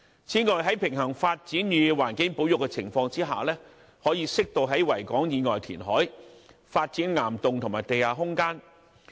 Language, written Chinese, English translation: Cantonese, 此外，在平衡發展與環境保育的情況下，可適度在維港以外填海，發展岩洞和地下空間。, In addition provided that a balance is struck between development and environmental conservation the authorities may carry out reclamation on an appropriate scale outside Victoria Harbour and develop rock caverns and underground space